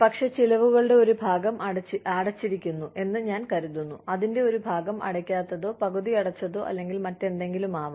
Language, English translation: Malayalam, But, I think, part of it is paid in, part of it is unpaid, or half paid, or whatever